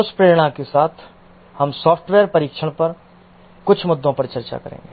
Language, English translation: Hindi, With that motivation, we will discuss some issues on software testing